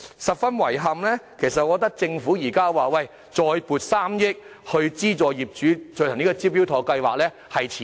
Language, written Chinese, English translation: Cantonese, 十分遺憾的是，政府現在才表示再撥3億元，資助業主參加"招標妥"計劃，我認為是遲了。, It is most regrettable that the Government indicated only recently the allocation of another 300 million to subsidizing property owners in joining the Smart Tender scheme and I think it is overdue